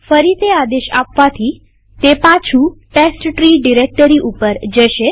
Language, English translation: Gujarati, Run it again and it will take us back to the testtree directory